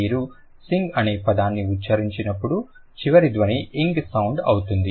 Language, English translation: Telugu, When you utter the word sing, the final sound is the un sound